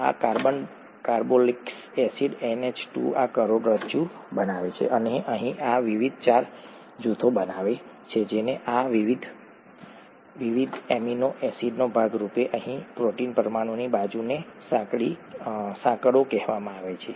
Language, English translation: Gujarati, This carbon carboxylic acid NH2 this forms the backbone, and these various R groups form what are called the side chains of this protein molecule here as a part of these various amino acids